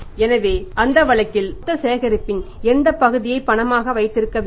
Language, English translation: Tamil, So, in that case what part of the total collection has to be kept as cash